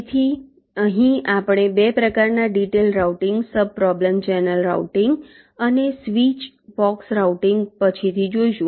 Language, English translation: Gujarati, so here we shall see later there are two kinds of detail routing sub problems: channel routing and switch box routing